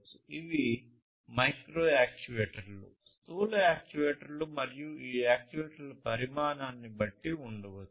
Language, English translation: Telugu, These could be micro actuators, macro actuators, and so on depending on the size of these actuators